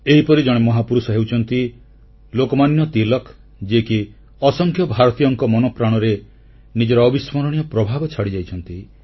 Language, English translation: Odia, One such great man has been Lok Manya Tilak who has left a very deep impression on the hearts of a large number of Indians